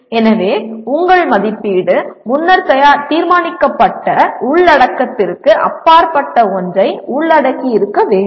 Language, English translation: Tamil, So your assessment should include something which is beyond the predetermined content